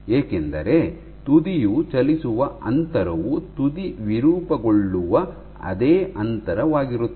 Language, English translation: Kannada, Because the distance by which you move further is the same distance by which the tip gets deformed